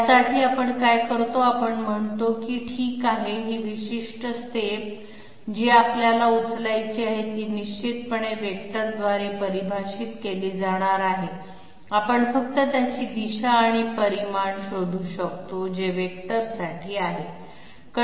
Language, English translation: Marathi, For this what we do is, we say that okay this particular step that we have to take is definitely going to be defined by a vector, we simply find out its direction and magnitude which is all there is to it for a vector